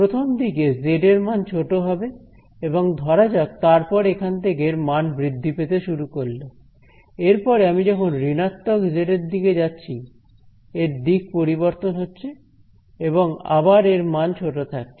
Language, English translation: Bengali, So, at first small z its value is going to be small let say and then the magnitude picks up over here, and when I go to negative z, it is going to change direction again the magnitude is small and so on